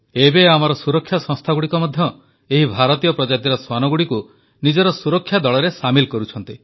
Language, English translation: Odia, Now, our security agencies are also inducting these Indian breed dogs as part of their security squad